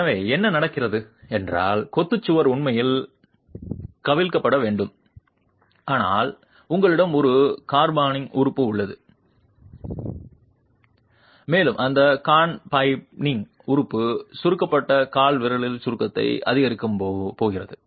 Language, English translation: Tamil, So, what's happening is the masonry wall should actually be overturning, but you have a confining element and that confining element is going to increase the compression at the compressed toe